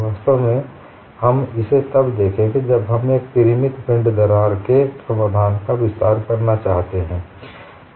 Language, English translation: Hindi, In fact, we would look at this when we want to extend the solution for a finite body crack problem